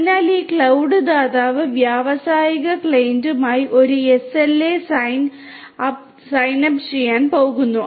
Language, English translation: Malayalam, So, this cloud provider is going to sign up an SLA with the industrial client; with the industrial client